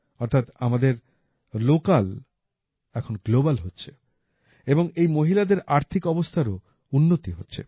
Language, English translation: Bengali, That means our local is now becoming global and on account of that, the earnings of these women have also increased